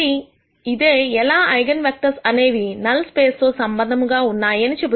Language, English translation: Telugu, So, this is how eigenvectors are connected to null space